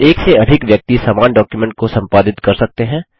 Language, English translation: Hindi, More than one person can edit the same document